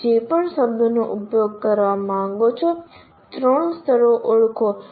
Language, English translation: Gujarati, Whatever wording that you want to use, you identify 3 levels